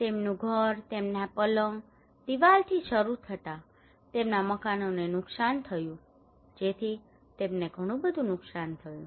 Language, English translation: Gujarati, Their house starting from their beds, walls, their houses were damaged so they have a lot of losses